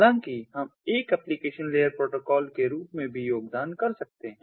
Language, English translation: Hindi, however, we can also contribute ah as a, as an application layer protocol as well, ah um